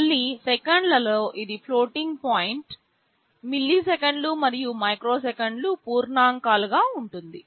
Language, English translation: Telugu, Again in seconds it will be floating point, milliseconds and microseconds it will be integers